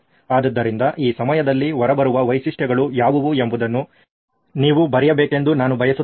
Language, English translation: Kannada, So at this point I would like you to write down what are features that are coming out of this